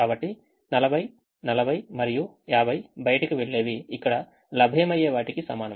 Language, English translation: Telugu, so forty, forty and fifty, whatever goes out is equal to what is available here